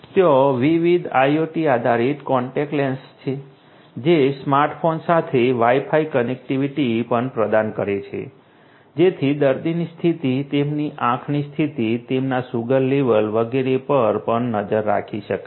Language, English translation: Gujarati, There are different IoT based contact lenses which are which also offer Wi Fi connectivity with smart phones so that the condition of the patient their you know, their high condition, their sugar level etcetera etcetera could be also monitored